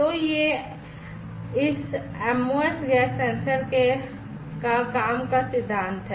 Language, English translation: Hindi, So, this is this MOS gas sensors working principle